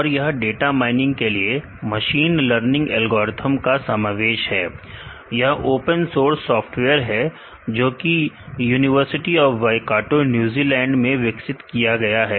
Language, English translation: Hindi, And it is a collection of machine learning algorithms for data mining, which is open source software, developed the university of Waikato New Zealand